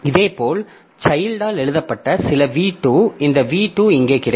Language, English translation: Tamil, Similarly, some v2 that is written by the child, this v2 will be available here